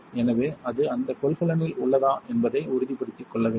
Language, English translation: Tamil, So, you want to make sure it is contained in that container